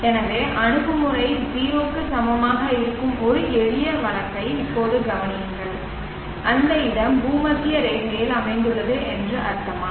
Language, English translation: Tamil, So for now consider a simple case where the attitude is equal to 0 what does it mean that the place is located on the equator